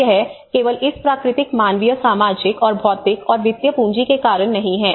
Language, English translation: Hindi, So it is not just only because of this natural, human, social and physical and financial capital